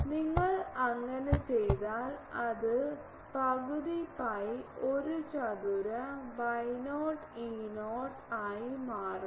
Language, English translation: Malayalam, If you do it becomes half pi a square Y not E 0 square